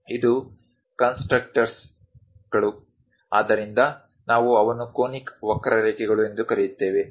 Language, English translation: Kannada, These are constructors, so we call them as conic curves